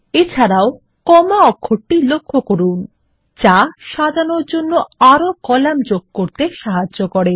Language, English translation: Bengali, Also notice the comma characters which help to add more columns for sorting